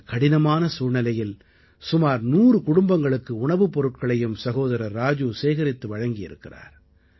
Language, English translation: Tamil, In these difficult times, Brother Raju has arranged for feeding of around a hundred families